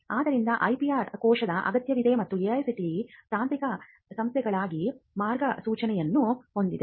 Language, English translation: Kannada, So, the IPR cell is required and AICTE has also come up with a guidelines for IPR for technical institutes